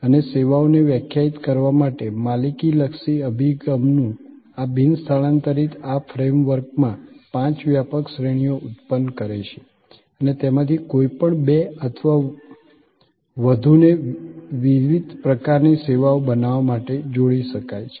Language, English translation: Gujarati, And this non transfer of ownership oriented approach to define services produce five broad categories with in this frame work and any two or more of these can be combined to create different kinds of services